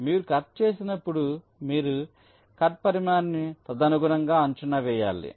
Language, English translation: Telugu, so when you make a cut, you will have to estimate the cut size accordingly, right